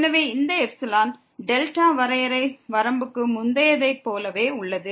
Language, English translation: Tamil, So, this epsilon delta definition is exactly the same as earlier for the limit